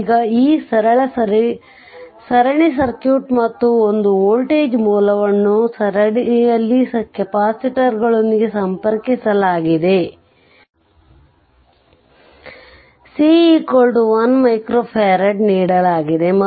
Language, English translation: Kannada, This simple series circuit and one voltage source is connected with the capacitors c in series; c is equal to given 1 micro farad